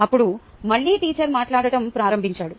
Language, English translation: Telugu, then again teacher started talking